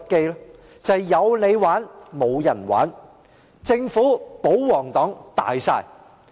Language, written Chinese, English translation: Cantonese, 便是"有你玩，無人玩"、"政府、保皇黨大晒"。, It means only you are allowed to play but no one else and the Government and the royalists dominate